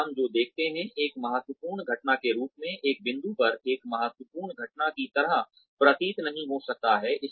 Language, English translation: Hindi, Now, what we see, as a critical incident, at one point, may not seem like a critical incident, at another point